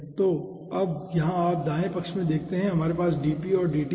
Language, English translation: Hindi, so now, here you see, in the left hand side we are having dp and dt